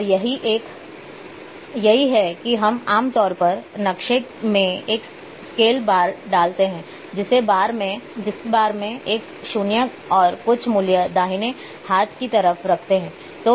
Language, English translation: Hindi, it is having a 0 and this is how we generally in the maps we put a scale bar we put a 0 and some value on the right hand side